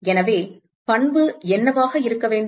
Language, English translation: Tamil, So, what should be the property